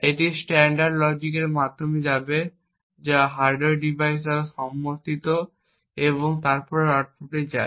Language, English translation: Bengali, This would go through the standard logic which is supported by the hardware device and then the output goes